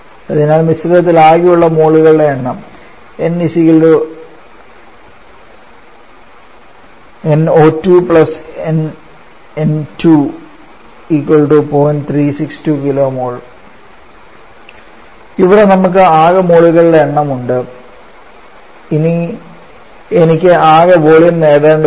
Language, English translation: Malayalam, So we have the total number of moles this one and now I have to get the total volume